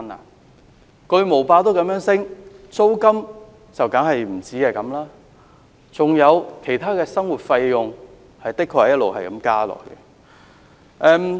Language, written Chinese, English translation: Cantonese, 連巨無霸的價錢也如此上升，租金當然更不止如此，還有其他生活費用，也的確一直在增加。, Given the price of a Big Mac has increased so much rents have certainly increased even more and other living expenses have been increasing as well